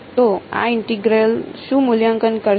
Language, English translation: Gujarati, So, what will this integral evaluate to